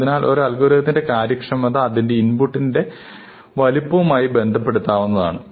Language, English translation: Malayalam, So, we would like to represent the efficiency of an algorithm as a function of its input size